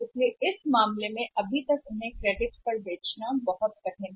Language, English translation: Hindi, So, in that case if still they have to sell on the credit is very difficult